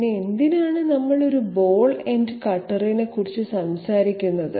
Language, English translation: Malayalam, So 1st of all why are we talking about a ball ended cutter